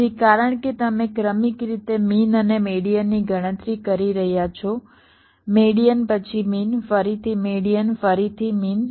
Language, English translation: Gujarati, so because you are successively computing means and medians, medians than means, again median, again mean